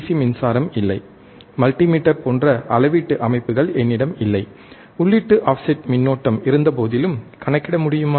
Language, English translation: Tamil, I do not have the DC power supply, I I do not have the measurement systems like multimeter, can I still calculate the input offset current